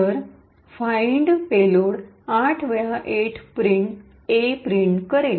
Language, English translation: Marathi, So find payload would print A 8 times